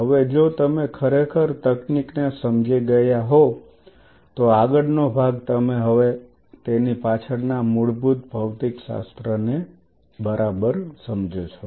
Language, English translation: Gujarati, Now if you have a hag on this technique if you really understood the technique the next part is now you understand the basic physics behind it ok